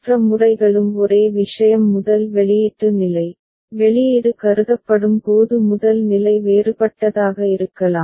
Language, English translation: Tamil, Other methods also the same thing only the first output stage, first stage when output is considered that could be different ok